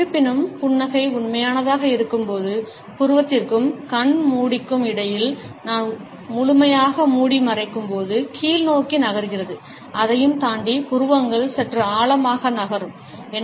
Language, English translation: Tamil, However, when the smile is genuine the fresher part of eye between the eyebrow and the eye lid where I cover full, moves downwards and beyond that the eyebrows deep slightly (Refer Time: 19:09)